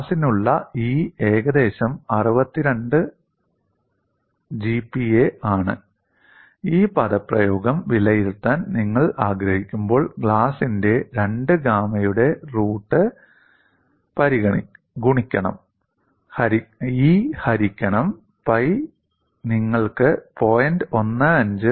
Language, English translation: Malayalam, 54 Newton per meter and E for glass is about 62 GPa, and when you want to evaluate this expression, root of 2 gamma glass into E divided by pi gives you 0